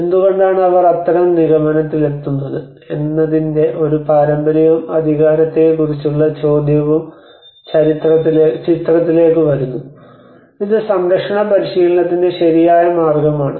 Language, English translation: Malayalam, why not a tradition of how they come to that kind of conclusion and the question of authenticity also comes into the picture and is it the right way of conservation practice